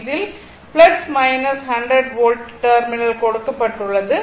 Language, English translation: Tamil, This is plus minus 100 volt terminal is given right